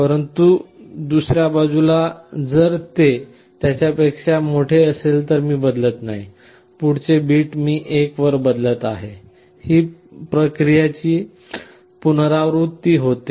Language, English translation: Marathi, But on the other side if it is greater than, I am not changing, the next bit I am changing to 1, and this process repeats